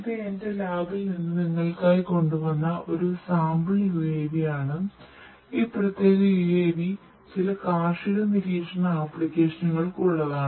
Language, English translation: Malayalam, So, this is a sample UAV that I have brought for you from my lab, this particular UAV is for catering to certain agricultural monitoring application